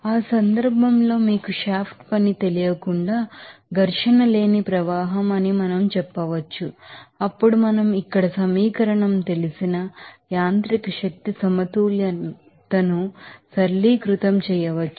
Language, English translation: Telugu, So, in that case we can say that the flow is that frictionless flow without you know shaft work then we can simplify that mechanical energy balance into this you know equation here